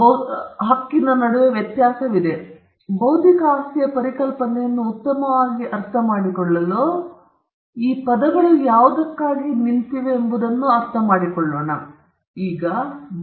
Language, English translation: Kannada, Now, for us to understand the concept of intellectual property better, we need to understand what these words stand for